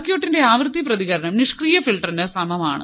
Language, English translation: Malayalam, The frequency response of the circuit is the same for the passive filter